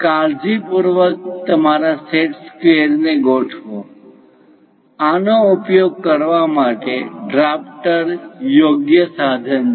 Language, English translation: Gujarati, Carefully align your set squares; drafter is the right tool to use this